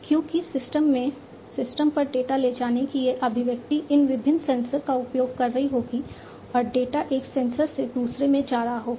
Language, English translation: Hindi, Because of this expression of data moving to systems from systems would be using these different sensors and the data will be moving from one sensor to another